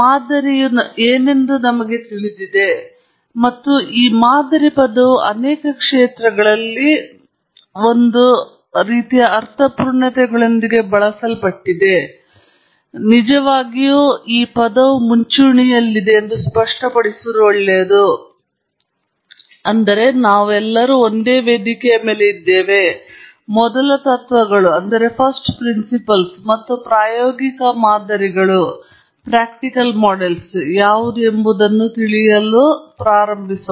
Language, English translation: Kannada, Of course, all of us know what is a model, and this term model is used in many fields with almost similar connotations, but it’s good to really clarify it upfront, so that we are all on the same platform, and then, move on to learn what are first principles and empirical models